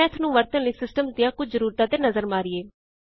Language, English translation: Punjabi, Let us look at the System requirements for using Math